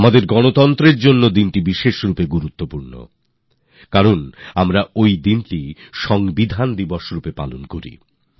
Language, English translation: Bengali, This is especially important for our republic since we celebrate this day as Constitution Day